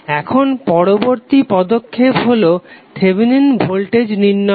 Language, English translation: Bengali, Now next step is finding out the value of Thevenin Voltage